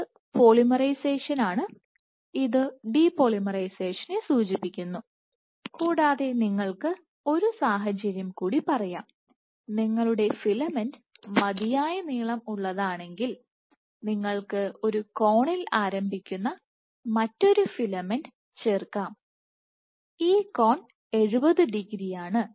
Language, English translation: Malayalam, So, this is polymerization this signifies depolymerization and you can have one more situation in which let us say if the filament is let us say if your filament is long enough you can add a filament, another filament which starts at an angle